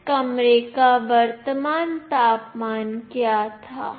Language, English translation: Hindi, What was the current temperature of this room